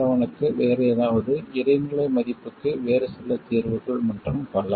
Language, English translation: Tamil, 7, some other solution for intermediate values and so on